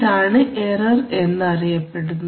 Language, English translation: Malayalam, This is the, what is known as the error